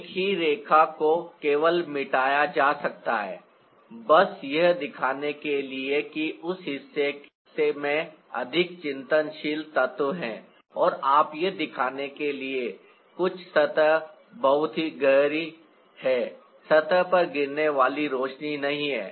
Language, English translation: Hindi, the same line can be simply erased off just to show that part has more reflective elements, and you can also make some parts very dark to show that there is no light falling on the surface